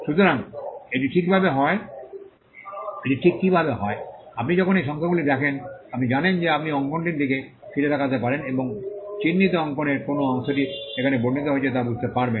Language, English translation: Bengali, So, it is just how so, when you see these numbers you know you can look back into the drawing and understand which part of the marked drawing is the part that is described here